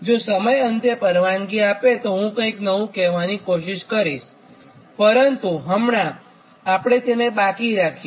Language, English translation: Gujarati, if time permits at the aim, then something new i will try to tell, but right now we will not go through that, right